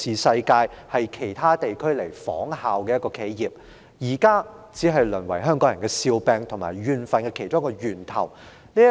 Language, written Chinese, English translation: Cantonese, 如今這間令其他地區仿效的企業，只淪為香港人的笑柄及其中一個怨憤源頭。, Now this corporation which used to be the example for other regions has deteriorated into a laughing stock and one of the causes of grievances of the people of Hong Kong